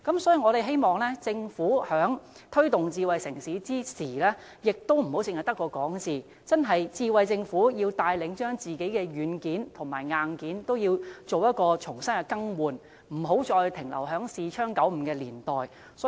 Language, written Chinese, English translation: Cantonese, 所以，我們希望政府在推動發展智慧城市時，自己也不要光說不做，智慧政府應該牽頭更換政府內部的軟件和硬件，不要停留在視窗95的年代了。, This is why we hope the Government can stop paying lip service . A smart government should take the lead to replace its internal software and hardware and leave the era of Windows 95 behind